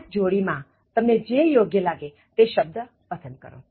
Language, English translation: Gujarati, In the same pair, you choose what you think is the right word